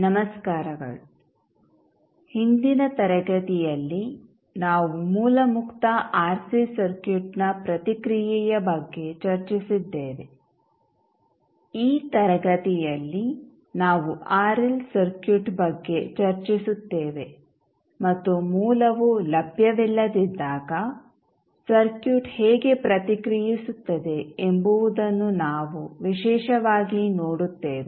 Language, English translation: Kannada, Namashkar so, in last class we discus about source free RC circuit response, in this class we will discuss about the RL circuit, and we will particularly see, when the source in not available, how the circuit will respond